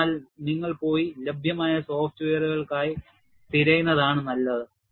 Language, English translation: Malayalam, So, it is better, that you go and look for softwares that are available